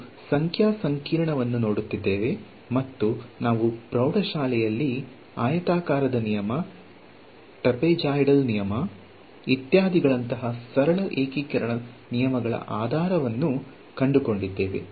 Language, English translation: Kannada, So, we were looking at numerical integration right and we found out the basis of the simple integration rules that we came across in high school like the rectangle rule, trapezoidal rule etcetera it was basically Taylor’s theorem